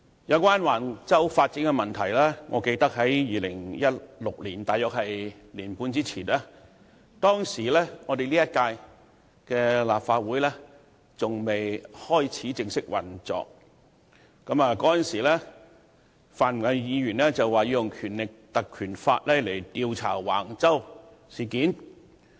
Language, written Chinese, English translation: Cantonese, 有關橫洲發展的問題，我記得在2016年，即大約年半前，在本屆立法會尚未正式開始運作之際，已有泛民議員表示要引用《立法會條例》調查橫洲事件。, On the development of Wang Chau I recalled that one and a half year ago in 2016 before this Council commenced operation officially certain Members from the pan - democratic camp requested invoking the Legislative Council Ordinance to investigate the Wang Chau incident